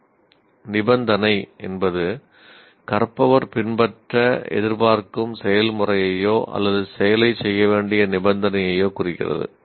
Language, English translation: Tamil, Then condition represents the process the learner is expected to follow or the condition under which to perform the action